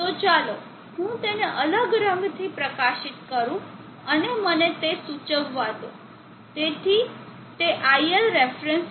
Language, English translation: Gujarati, So let me highlight that with a different colour and let me indicate that, so that is ilref